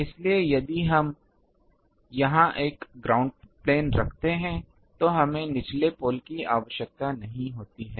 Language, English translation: Hindi, So, if we place a ground plane here, then we need not have the lower pole